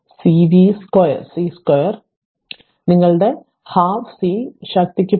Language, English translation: Malayalam, So, we have got your half C is given 0